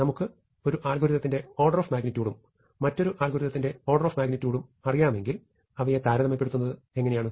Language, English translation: Malayalam, If I know the order of magnitude of 1 algorithm, and the order of magnitude of another algorithm how do I compare